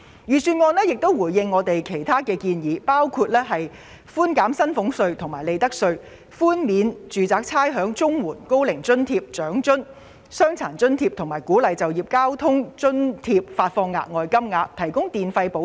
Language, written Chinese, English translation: Cantonese, 預算案亦回應了我們的其他建議，包括寬減薪俸稅和利得稅；寬免住宅差餉；綜援、高齡津貼、長者生活津貼、傷殘津貼和鼓勵就業交通津貼發放額外金額，以及提供電費補貼。, The Budget has also taken on board our other suggestions including reducing salaries tax and profits tax; providing rates concession for domestic properties; providing an additional allowance to recipients of the Comprehensive Social Security Assistance Old Age Allowance Old Age Living Allowance Disability Allowance and Work Incentive Transport Subsidy as well as granting an electricity subsidy